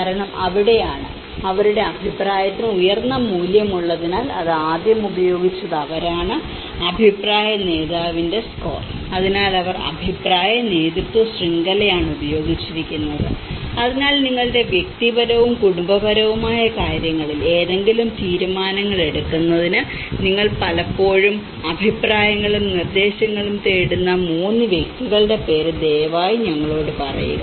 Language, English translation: Malayalam, Because that is where because their opinion is a higher value because they are the one who used it in the first and forehand, opinion leader score; so they have used the kind of opinion leadership network so, please name us 3 persons with whom you often turn for opinions and suggestions to make any decisions on your personal and family matters